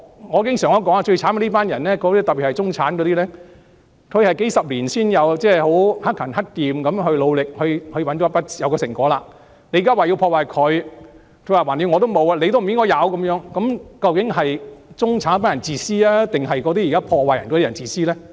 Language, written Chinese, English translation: Cantonese, 我經常說最可憐的就是這群中產人士，他們克勤克儉、努力數十年才得到成果，現在說要破壞他們的成果，因為反正我沒有，你也不應該擁有，那究竟是中產人士自私還是破壞的人自私呢？, They have worked diligently while scrimping and saving and it takes decades of hard work for them to attain these achievements . Now it is said that their achievements should be destroyed because after all I do not have these achievements and so you should not have them either . Tell me who are selfish the middle - class people or the destroyers?